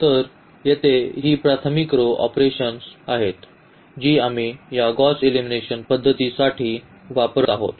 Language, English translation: Marathi, So, here these are the elementary row operations which we will be using for this Gauss elimination method